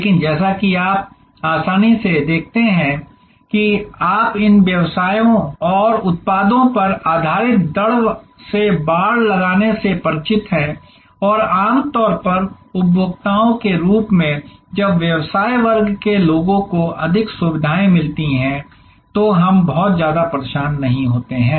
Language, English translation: Hindi, And these as you easily see, that you are all familiar with these products based rate fencing and usually as consumers, we do not feel much of a disturbance when business class people get more facilities